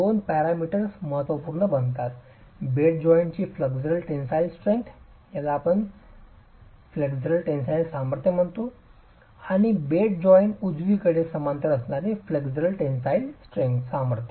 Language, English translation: Marathi, It's the flexual tensile strength normal to the bed joint and the flexual tensile strength parallel to the bed joint